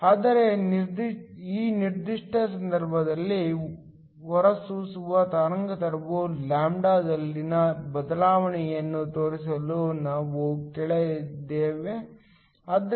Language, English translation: Kannada, So, in this particular case, we asked to show that the change in the emitter wavelength lambda, so dλdT